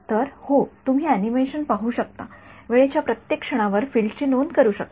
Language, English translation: Marathi, So, yeah this we can see this is the animation at every time instant you can record the field